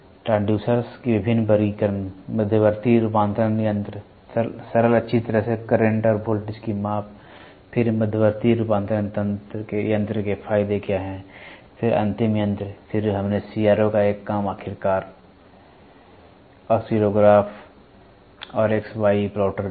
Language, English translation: Hindi, What are the various classification of transducers, intermediate modifying devices simple well type of measure current and voltage, then what are the advantages of intermediate modifying devices, then terminating devices, then we saw a working of a CRO finally, oscillographs and XY plotter